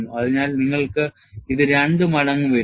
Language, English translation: Malayalam, So, you have this as two times that